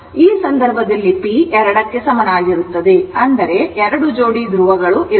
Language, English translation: Kannada, So, here in this case you have p is equal to 2, that is two pairs of poles right